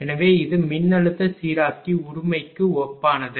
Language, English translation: Tamil, It is analogous to a voltage regulator right